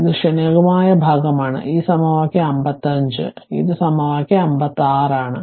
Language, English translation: Malayalam, And this is transient part, this equation 55; this is equation 56 right